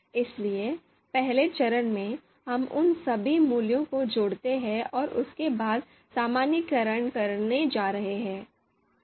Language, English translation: Hindi, So in the first step, we are going to you know sum up all those values and after that normalization is going to be performed